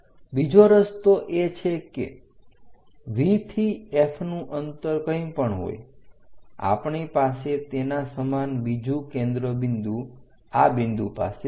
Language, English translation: Gujarati, The other way is from V whatever the distance of F we have same another focus we are going to have it at this point